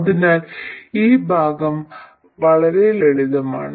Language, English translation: Malayalam, So, this part is pretty simple